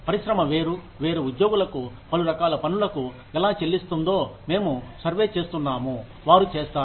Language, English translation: Telugu, We survey, how the industry is paying different employees, for the kinds of work, they do